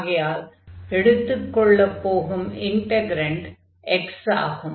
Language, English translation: Tamil, So, our integrand is going to be x now